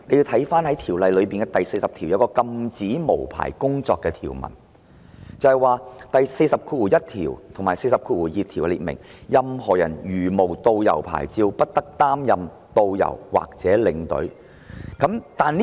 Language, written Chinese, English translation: Cantonese, 《條例草案》第40條"禁止無牌工作"，而第401及402條亦列明，任何人如無導遊或領隊牌照，不得擔任導遊或領隊。, Clause 40 of the Bill prohibits working without licence and clauses 401 and 402 also stipulate that no person may without a tourist guide licence or a tour escort licence work as a tourist guide or a tour escort . Problems will arise again